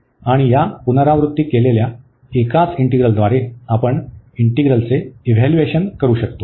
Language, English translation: Marathi, And we can evaluate the integrals by this repeated a single integrals